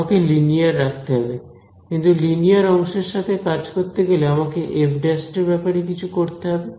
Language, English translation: Bengali, I want to keep linear right, but dealing with linear terms now I have to do somehow do something about this f prime